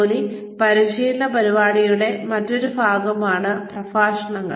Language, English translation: Malayalam, Lectures is another way of, on the job of training program